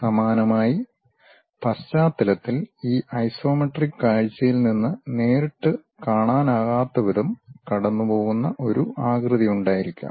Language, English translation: Malayalam, And, similarly at background there might be a shape which is passing through that which is not directly visible from this isometric view